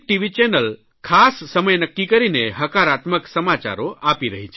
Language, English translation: Gujarati, channels have begun setting aside some time for positive news